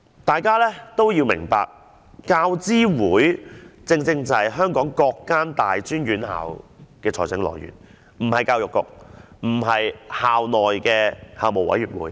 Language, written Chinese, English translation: Cantonese, 大家要明白，教資會就是負責安排香港各大專院校的財政來源的機構，不是教育局，不是校內的校務委員會。, Members should understand that instead of the Education Bureau or the councils of relevant universities it is UGC which is the institution responsible for arranging the funding for Hong Kongs universities and tertiary institutions